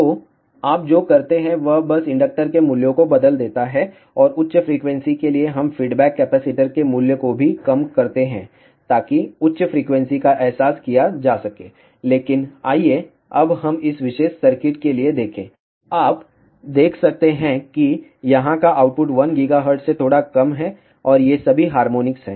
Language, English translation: Hindi, So, what you do it is simply change the values of inductor and for higher frequency we also reduce the value of the feedback capacitor; so that higher frequency can be realized, but let us see now for this particular circuit, you can see the output here is slightly less than 1 gigahertz and these are all the harmonics